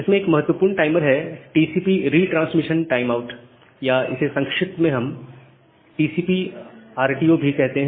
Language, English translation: Hindi, So, one important timer it is TCP retransmission timeout or TCP, we call it in short form TCP RTO